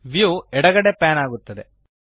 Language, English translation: Kannada, The view pans to the left